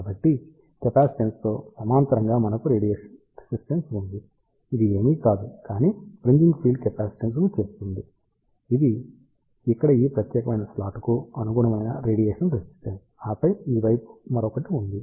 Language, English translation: Telugu, So, we have a radiation resistance in parallel with capacitance, which is nothing, but fringing field capacitance, this is the radiation resistance corresponding to this particular slot here, and then there is another one on this particular side